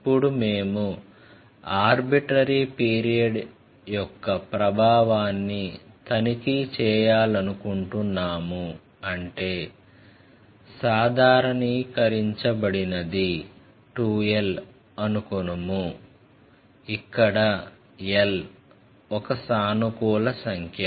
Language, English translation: Telugu, Now, we want to check that if the period is a generalized one 2 l say, what is the effect on this where l is some positive number